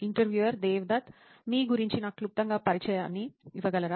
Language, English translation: Telugu, Devdat, can you just give me a brief intro about yourself